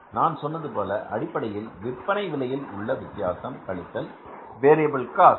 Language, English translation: Tamil, I told you the contribution is basically the difference in the selling price minus the variable cost